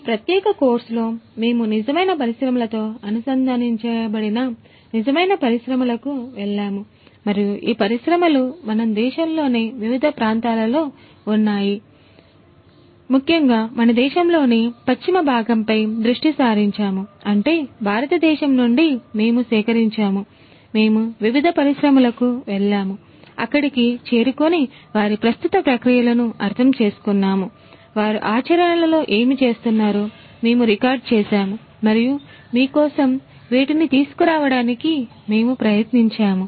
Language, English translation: Telugu, In this particular course we have gone out to the real industries we have connected with real industries and these industries are in different parts of our country, particularly focusing on the western part of our country; that means, India and we have collected, we have gone to the different industries, we have reached out, we have understood their existing processes, we have recorded what they have what they do in practice and we have tried to bring these up for you